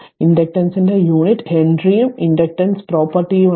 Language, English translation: Malayalam, The unit of inductance is Henry and inductance is the property right